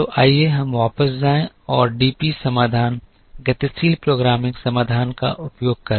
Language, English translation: Hindi, So, let us go back and use the DP solution dynamic programming solution